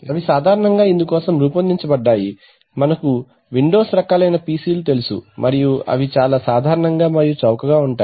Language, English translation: Telugu, So there they are generally designed for this you know kind of Windows kind of PCs and they are very common and they are rather cheap